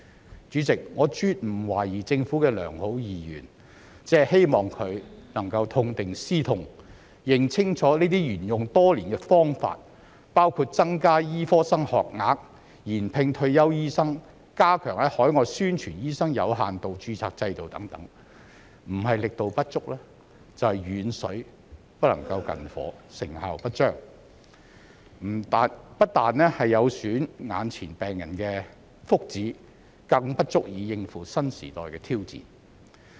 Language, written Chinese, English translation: Cantonese, 代理主席，我絕不懷疑政府的良好意願，只是希望它能夠痛定思痛，認清楚這些沿用多年的方法，包括增加醫科生學額、延聘退休醫生、加強在海外宣傳醫生有限度註冊制度等，不是力度不足，就是遠水不能救近火，成效不彰，不但有損眼前病人的福祉，更不足以應付新時代的挑戰。, Deputy President I do not doubt the good intentions of the Government but I only hope that it can learn a lesson from the bitter experience . It should clearly know that the measures adopted over the years including increasing the number of healthcare training places rehiring retired doctors and stepping up publicizing the limited registration scheme overseas either fall short of what are needed or are akin to distant water that cannot quench a fire nearby . Such ineffective measures are not only detrimental to the well - being of patients nowadays but also unable to cope with challenges in the new era